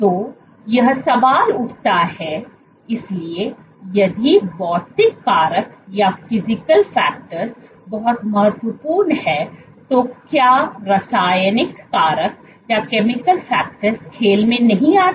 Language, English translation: Hindi, So, this raises the question, so if physical factor is so important does chemical factors not come into the play